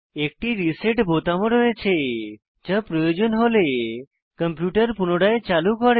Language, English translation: Bengali, There is a reset button, too, which helps us to restart the computer, if required